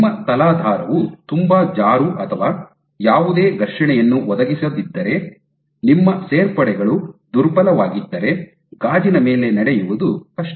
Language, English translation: Kannada, So, if your substrate is very slippery or does not provide any friction link class, then your additions are weak it is difficult to walk on glass